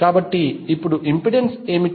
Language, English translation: Telugu, So, what is the impedance now